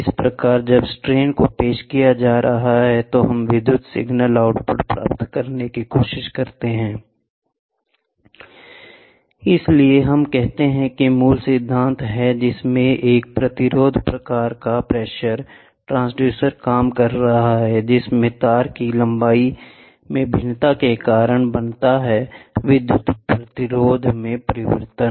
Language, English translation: Hindi, Thus, when the strains are getting introduced from that we try to get the electrical signal output so, that is what we say the basic principle of which is a resistance type pressure transducer working in which a variation in the length of the wire causes a change in the electrical resistance, variation means change other